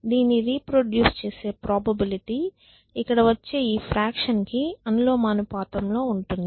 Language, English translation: Telugu, So, the probability of it reproducing is proportional to the fraction that this is of the sum of this whole thing